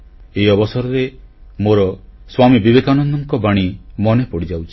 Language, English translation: Odia, On this occasion, I remember the words of Swami Vivekananda